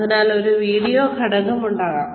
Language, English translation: Malayalam, Then there could be a video component